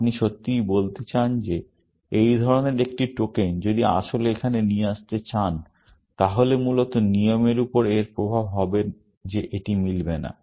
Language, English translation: Bengali, What you want to really say is that if a token of this kind want to actually, come here, then its effect on the rule will be that it will not match, essentially